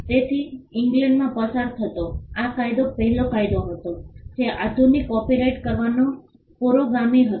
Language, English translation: Gujarati, So, this was the first statute passed in England which was the precursor of modern copyright laws